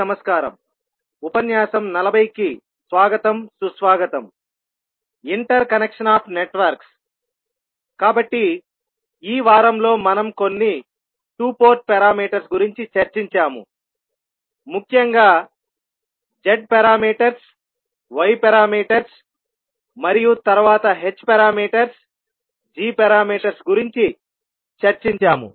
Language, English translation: Telugu, Namaskar, so in this week we discussed about few two Port parameters precisely Z parameters, Y parameters and then H parameters, G parameters